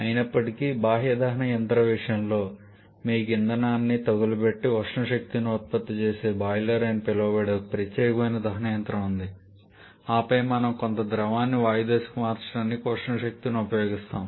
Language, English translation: Telugu, However in case of external combustion engine you have a separate combustor commonly called a boiler where we burned the fuel produces a thermal energy and then we use the thermal energy to convert certain liquid to gaseous stage